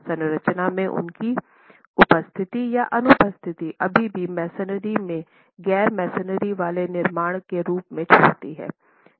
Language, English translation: Hindi, Their presence in the structure or absence in the structure still leaves the masonry as an unreinforced masonry construction